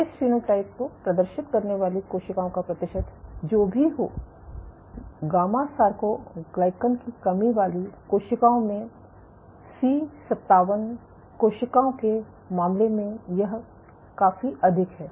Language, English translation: Hindi, Whatever be the percent of cells exhibiting this phenotype in case of C57 cells in gamma soarcoglycan deficient cells it is significantly higher